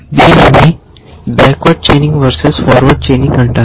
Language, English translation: Telugu, It is called backward chaining versus forward chaining